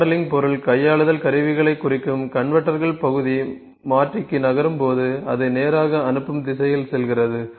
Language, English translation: Tamil, Convertors intended for modelling material handling equipment when the part moves onto convertor it either passes straight through the conveying direction